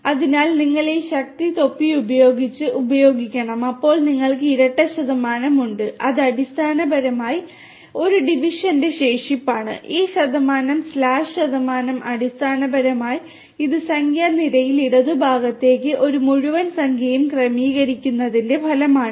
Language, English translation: Malayalam, So, you have to use this power with the cap then you have double percentage which is basically the remainder of a division and this percentage slash percentage basically this is the division resulting in a whole number adjusted to the left in the number line